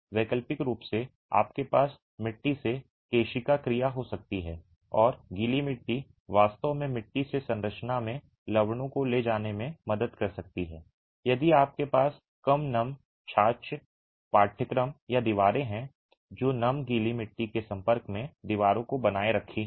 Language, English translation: Hindi, Alternatively, you can have capillary action from the soil and the wet soil can actually help in transporting salts from the soil to the structure if you have deficient dam proofing courses or walls that are retaining walls in contact with wet soils